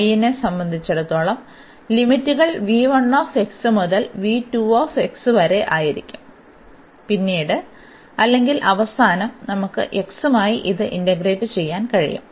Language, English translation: Malayalam, So, with respect to y the limits as I said will be from v 1 x to this v 2 x and later on or at the end we can integrate this with respect to x the limits will be from a to b